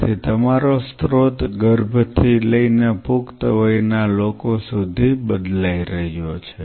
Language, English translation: Gujarati, So, your source is changing all the way from fetal to an adult